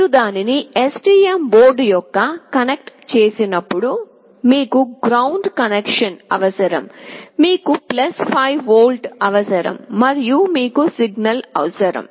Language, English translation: Telugu, When you connect it to the STM board you require the ground connection, you require +5V and you require a signal